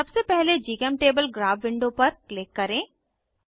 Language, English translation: Hindi, First click on GChemTable Graph window